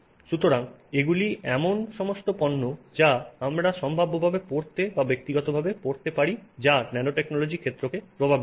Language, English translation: Bengali, So, these are all products that we could potentially wear or use in person which have impact from the nanotechnology field